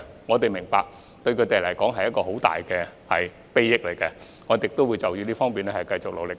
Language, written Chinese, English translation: Cantonese, 我們明白這類項目對他們大有裨益，我們亦會在這方面繼續努力。, We understand that such projects are highly beneficial to them and we will continue our efforts in this regard